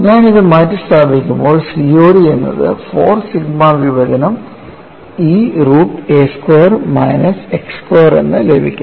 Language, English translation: Malayalam, When I substitute this, I get COD equal to 4 sigma divided by E root of a squared minus x squared, what does this equation convey to you